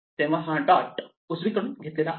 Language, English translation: Marathi, So, this dot is taken from the right